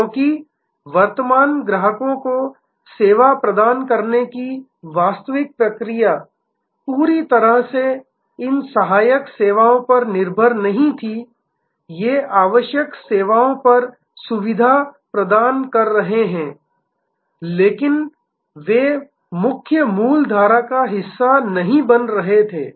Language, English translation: Hindi, Because, the actual process of delivering service to the current customers was not entirely dependent on these auxiliary services, these are facilitating on necessary services, but they were not forming the part of the main value stream